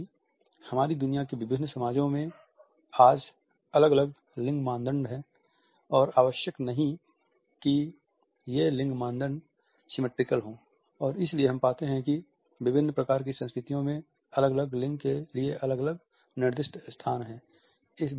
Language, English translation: Hindi, Since different societies in our world today have different gender norms, these gender norms are not necessarily symmetrical and therefore, we find that different types of cultures have different designated spaces for different genders